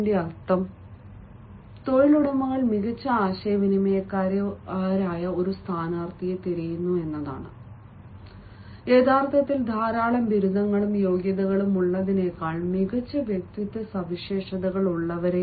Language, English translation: Malayalam, the meaning is that employers are looking for a candidate who are better communicators, who actually have better personality traits than simply having a lot of degrees and qualifications